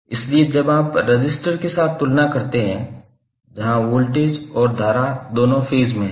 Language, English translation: Hindi, So when you compare with the resistor, where voltage and current both are in phase